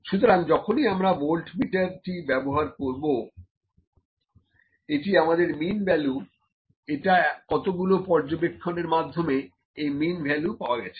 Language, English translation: Bengali, Whenever the voltmeter is used, this is actually the mean value; this is a mean value from certain number of observations